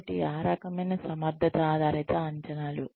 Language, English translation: Telugu, So, that kind of thing, competency based appraisals